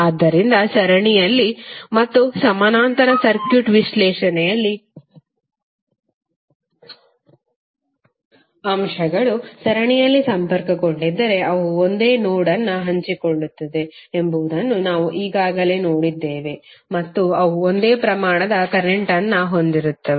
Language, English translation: Kannada, So that we have already seen in the series and parallel circuit analysis that if the elements are connected in series means they will share a single node and they will carry the same amount of current